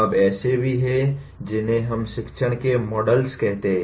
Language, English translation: Hindi, Now there are what we call models of teaching